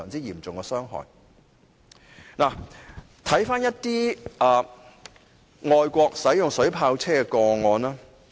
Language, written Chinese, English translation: Cantonese, 現在回顧一些外國使用水炮車的個案。, Let us take a look at the cases where water cannon vehicles were used overseas